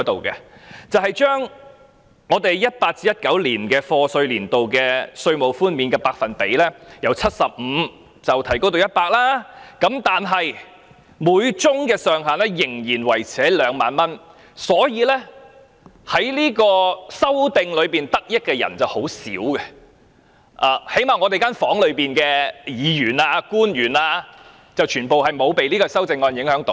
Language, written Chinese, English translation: Cantonese, 2018-2019 年度稅務寬免的百分比由 75% 提升至 100%， 每宗個案上限仍然維持2萬元，所以能藉修正案得益的人很少，最低限度會議廳內的議員和官員也不受修正案影響。, The amendments are to increase the tax reduction rate for the year of assessment 2018 - 2019 from 75 % to 100 % while retaining the ceiling of 20,000 per case and hence very few people can benefit from the amendments . At least Members and public officers inside this Chamber will not be affected by the amendments